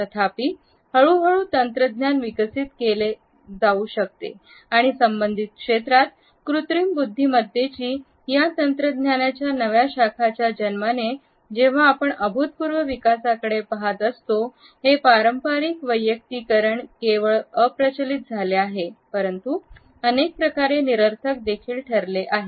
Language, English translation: Marathi, However, once the technology started to develop and with the presence of artificial intelligence, when we are looking at an unprecedented development in related fields this conventional personalization has become not only obsolete, but also in many ways redundant